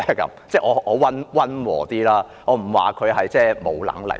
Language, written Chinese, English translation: Cantonese, 我說得溫和一點，我不說她沒有能力。, I am being mild I do not say she is incapable